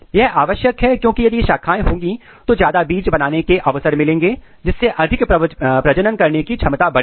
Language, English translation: Hindi, It is important because if you have more branches there is opportunity to produce more seeds, there is opportunity to have more kind of reproductive capability